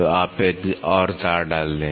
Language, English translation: Hindi, So, you put one more wire